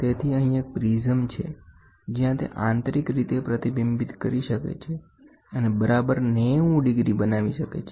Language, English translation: Gujarati, So, here is a prism where it can internally reflect and create exactly 90 degrees